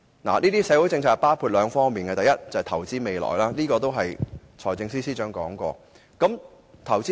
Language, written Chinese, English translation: Cantonese, 有關社會政策包括兩方面：第一，投資未來，財政司司長亦曾提述這點。, Such social policies entail two respects First investing in the future and the Financial Secretary has talked about it